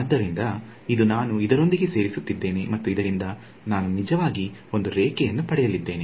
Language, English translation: Kannada, So, this is going to be I am adding this guy and this guy I am going to actually get a line